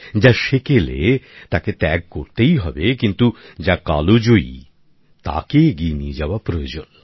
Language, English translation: Bengali, That which has perished has to be left behind, but that which is timeless has to be carried forward